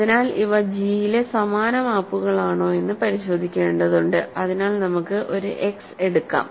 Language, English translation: Malayalam, So, we are supposed to check that these are same maps on G so, let us take an x